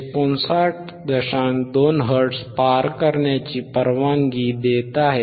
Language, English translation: Marathi, 2 hertz which now it is allowinged to pass,